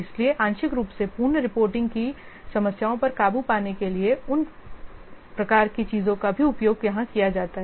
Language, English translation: Hindi, So, those kind of things also be used here for overcoming the problems of partial completion reporting